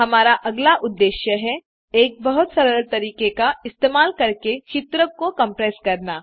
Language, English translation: Hindi, Our next goal is to compress the image, using a very simple technique